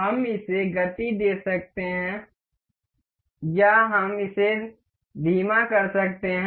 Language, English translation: Hindi, We can speed it up or we can slow play it